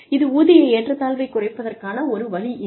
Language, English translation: Tamil, And, that is one way of reducing, this pay disparity